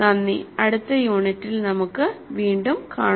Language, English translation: Malayalam, Thank you and we'll meet again with the next unit